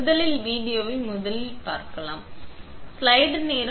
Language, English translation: Tamil, Let me first play the first video